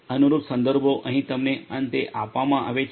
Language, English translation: Gujarati, The corresponding references are given to you at the end over here